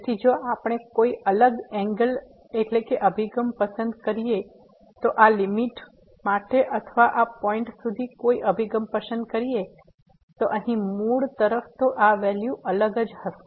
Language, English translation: Gujarati, So, if we choose a different angle to approach to this limit or to this approach to this point here the origin then the value will be different